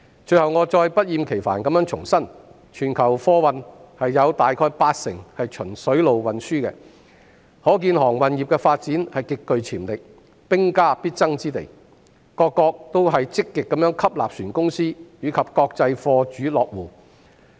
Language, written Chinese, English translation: Cantonese, 最後，我不厭其煩地重申，全球貨運有大約八成循水路運輸，可見航運業的發展極具潛力，是兵家必爭之地，各國也積極吸納船公司，以及國際貨主落戶。, Lastly I reiterate once again that as about 80 % of global freight is carried by sea the shipping industry has great development potential and competition is severe . Various countries are actively attracting shipping companies and international cargo owners